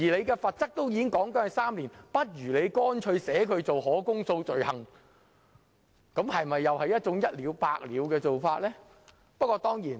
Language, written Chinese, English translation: Cantonese, 既然罰則已訂明為監禁3年，不如乾脆把它訂為可公訴罪行，不就是一了百了的做法嗎？, While the penalty has been prescribed to be three - year imprisonment it may as well be stipulated as an indictable offence . Is it not a once - and - for - all solution?